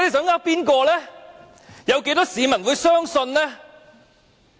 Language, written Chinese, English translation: Cantonese, 有多少市民會相信呢？, How many people would believe him?